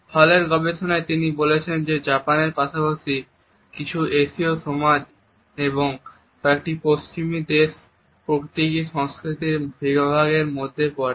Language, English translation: Bengali, In Hall’s studies he has commented that Japan as well as several Asian societies and certain Western countries are also under this group of symbolic cultures